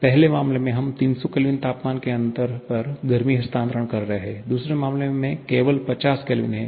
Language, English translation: Hindi, In the first case, we are having heat transfer over 300 Kelvin temperature difference; there is only 50 Kelvin in the second case